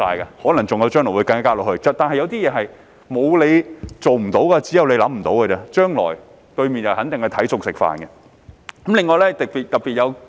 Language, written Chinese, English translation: Cantonese, 有些事情是"沒有你做不到，只有你想不到"而已，對面陣營將來肯定會隨機應變。, There are acts which are not impossible to do but just have not crossed those peoples minds . The opposite camp will definitely react accordingly in the future